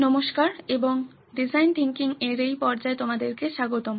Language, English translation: Bengali, Hello and welcome back to this phase of design thinking